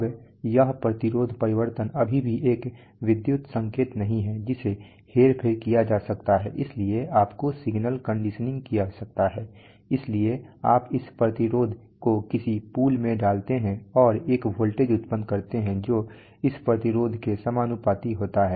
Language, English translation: Hindi, Now this resistance change is still not an electrical signal which can be manipulated, so you need signal conditioning, so you put this resistance into some bridge and produce a voltage which is proportional to this resistance